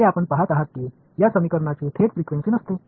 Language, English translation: Marathi, As you see it these equations do not have frequency directly anyway right